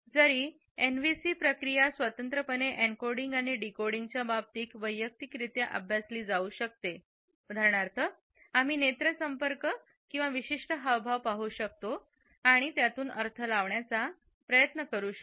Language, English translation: Marathi, Though NVCs can be studied individually in terms of separate encoding and decoding processes; for example, we can look at eye contact or a particular gesture and can try to decode it